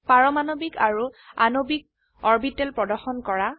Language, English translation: Assamese, Display Atomic and Molecular orbitals